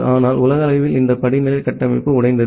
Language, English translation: Tamil, But globally, this hierarchical architecture got broken